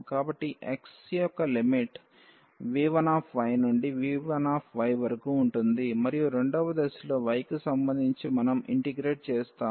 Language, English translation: Telugu, So, the limit of x will be from v 1 y to v 2 y and then in the second step we will do the integration with respect to y